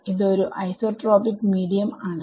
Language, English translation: Malayalam, So, it is an isotropic medium